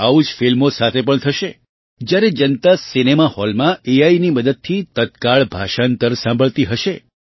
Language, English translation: Gujarati, The same will happen with films also when the public will listen to Real Time Translation with the help of AI in the cinema hall